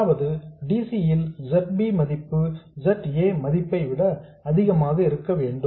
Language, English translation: Tamil, That is, the value of ZB at DC has to be much more than the value of ZA at DC